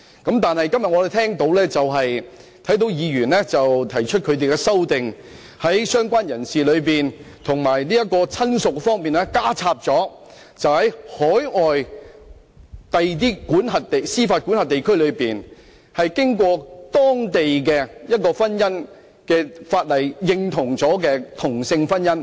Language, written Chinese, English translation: Cantonese, 可是，我今天看到有議員提出修正案，建議在"相關人士"及"親屬"的定義上，加入在海外的司法管轄區註冊、並獲當地的婚姻法例認同的同性婚姻。, But today I note that a Member has proposed in his amendment adding same - sex marriage registered in an overseas jurisdiction and recognized by the marital law of that place in the definitions of related person and relative which is most regrettable